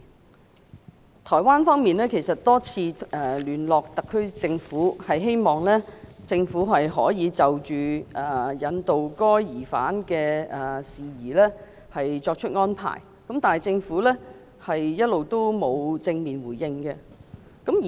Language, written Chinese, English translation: Cantonese, 其實，台灣當局已多次聯絡特區政府，希望就引渡該疑犯的事宜，港方可以作出安排，但一直未獲正面回應。, Indeed the Taiwan authorities which look forward to Hong Kongs extradition arrangement for this suspect have contacted the SAR Government several times but are yet to receive positive response from Hong Kong